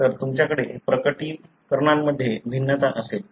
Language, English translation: Marathi, So you would have variations in the manifestations